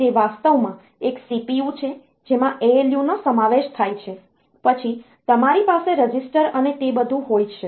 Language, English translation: Gujarati, It is actually a CPU consisting consisting a ALU, then you have got registers and all that